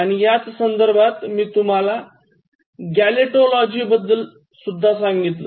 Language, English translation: Marathi, In this context, I introduced to you the term Gelotology